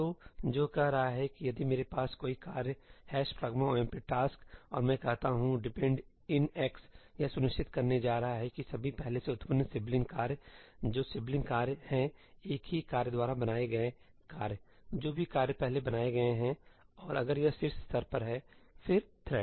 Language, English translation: Hindi, So, what that is saying is that if I have a task, ëhash pragma omp taskí, and I say ëdepend in colon xí, what it is going to ensure is that all previously generated sibling tasks what are sibling tasks tasks created by the same task, whatever tasks it has earlier created; and if it is at the top level, then the thread